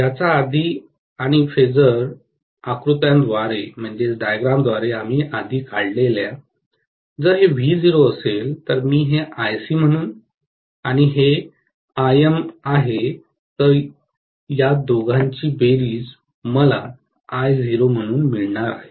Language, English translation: Marathi, From which and from the phasor diagram we drew earlier, if this is V0, I am going to have actually this as Ic and this as Im and the addition of these two, I am going to get as I0